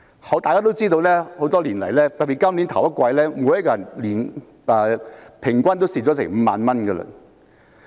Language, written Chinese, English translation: Cantonese, 眾所周知，多年來，特別是今年首季，每人平均虧蝕5萬元。, It is widely known that losses have been recorded over the years and in particular the first quarter of this year saw an average loss of 50,000 per person